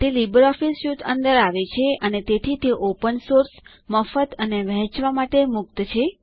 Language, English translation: Gujarati, It is bundled inside LibreOffice Suite and hence it is open source, free of cost and free to distribute